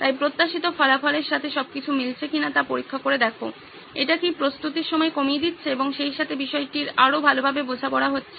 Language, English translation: Bengali, So keep checking back whether it all makes sense with the desired result, is it reducing the time to prepare as well as is it yielding a better understanding of the topic